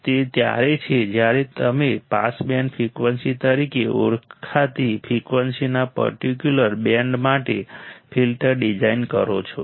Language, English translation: Gujarati, That’s when you design a filter for a certain band of frequency to pass which are called pass band frequencies